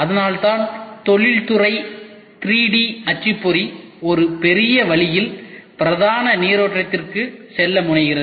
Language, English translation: Tamil, So, that is why industrial 3D printing is at the tipping point about to go mainstream in a big way